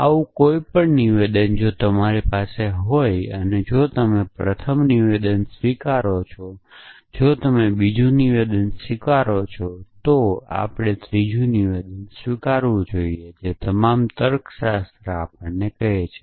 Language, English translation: Gujarati, Any such statement if you have, if you accept the first statement, if you accept the second statement, we must accept the third statement that is all logic is telling us